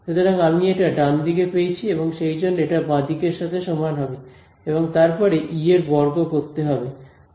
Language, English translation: Bengali, E exactly ok; so, what I have got this is the right hand side so, therefore, this is equal to the left hand side over here then squared E ok